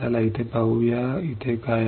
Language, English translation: Marathi, Let us see here what is here